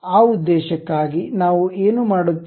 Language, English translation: Kannada, For that purpose what we will do